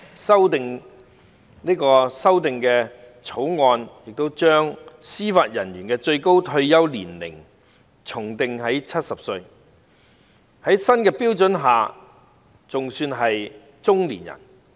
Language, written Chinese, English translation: Cantonese, 《條例草案》的建議修訂亦將司法人員的最高退休年齡訂為70歲，這在新的標準下尚算是中年人。, The proposed amendment of the Bill sets the maximum retirement age of Judicial Officers at 70 years old which still falls within the group of middle - aged according to the new standard criterion